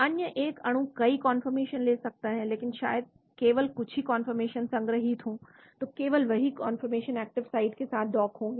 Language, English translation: Hindi, So a molecule can take several conformations but only few conformations maybe stored, so only those conformations will be docked to the active site